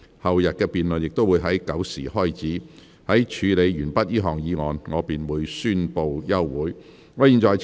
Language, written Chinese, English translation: Cantonese, 後天的辯論亦會在上午9時開始，在處理完畢這項議案後，我便會宣布休會。, The debate for the day after tomorrow will also start at 9col00 am . I will adjourn the Council after the conclusion of the motion